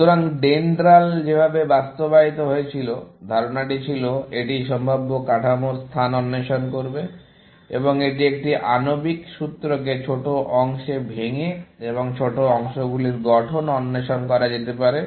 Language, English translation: Bengali, So, the way that is DENDRAL was implemented, the idea was, it will explore the space of possible structures, and this can be done by breaking down a molecular formula into smaller parts, and exploring the structure of the smaller parts